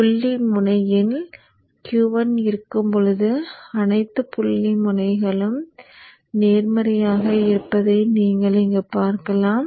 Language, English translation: Tamil, So you see here when Q1 is on, the dot end is positive